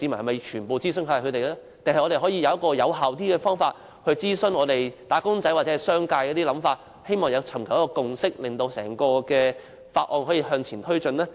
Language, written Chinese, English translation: Cantonese, 還是我們應有一個更有效的方法諮詢"打工仔"或商界，尋求共識，令整項法案可以向前推展呢？, Or should we have a more effective way of consulting wage earners or the business sector with a view to seeking a consensus so that the entire Bill can be taken forward?